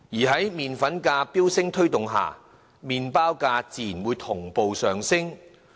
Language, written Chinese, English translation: Cantonese, 在麪粉價飆升推動之下，麪包價自然會同步上升。, When the price of flour is high the price of bread is bound to be pushed up